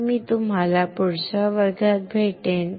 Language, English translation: Marathi, So, I will see you in the next class